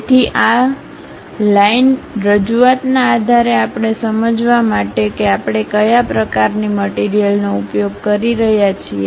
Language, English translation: Gujarati, So, based on those line representation we will be in a position to understand what type of material we are using